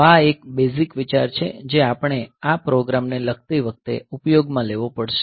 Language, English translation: Gujarati, So, this is the basic idea that we will be using while writing the program